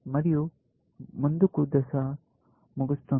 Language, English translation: Telugu, There, the forward phase ends